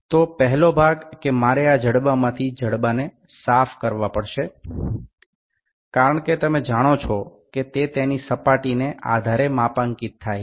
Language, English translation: Gujarati, So, the first part is I have to clean the jaws from this part because you know it is calibrated based upon this surface